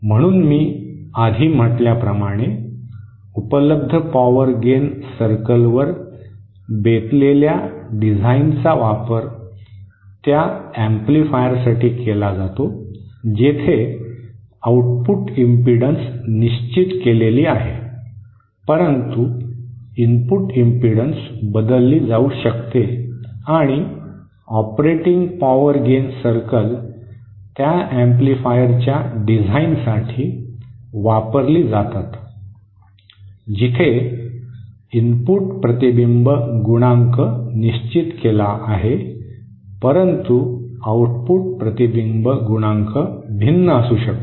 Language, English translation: Marathi, So, as I said before, the available power gain circle based design is used for those amplifiers where the output impedance is fixed but the input impedance can be varied and the operating power gain circles are used for design of those amplifiers where the input reflection coefficient is fixed but the output reflection coefficient can be varied